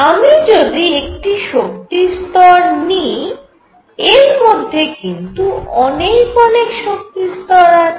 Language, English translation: Bengali, So, if I take an energy level here, it has in it many many energy levels